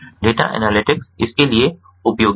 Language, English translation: Hindi, so data analytics are useful for that